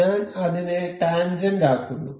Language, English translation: Malayalam, I will make it tangent